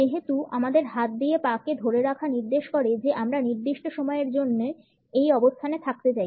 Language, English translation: Bengali, Since the clamping of the leg with our hands suggest that we want to stay in this position for certain time